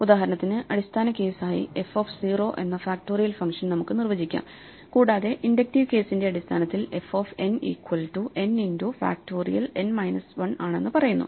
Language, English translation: Malayalam, For instance, we can define the factorial function in terms of the base case f of 0, and in terms of the inductive case saying f of n is n times factorial of n minus 1